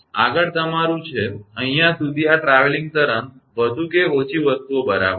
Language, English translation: Gujarati, Next is your, up to this, this traveling wave more or less things are ok right